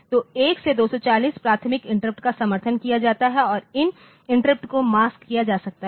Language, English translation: Hindi, So, 1 to 240 prioritizable interrupts are supported and these interrupts can be masked ok